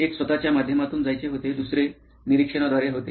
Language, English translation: Marathi, One was to go through yourself, the second was through observation